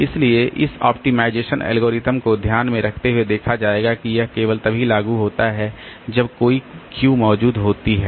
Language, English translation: Hindi, So, we will be looking into the optimization algorithms keeping in view that this is applicable only when a queue is existing